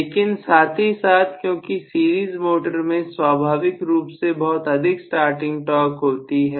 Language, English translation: Hindi, But, all the same, because the series motor inherently has a large starting torque